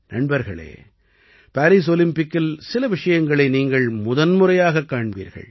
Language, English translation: Tamil, Friends, in the Paris Olympics, you will get to witness certain things for the first time